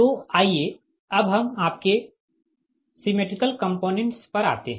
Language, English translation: Hindi, so let us come to that, your symmetrical component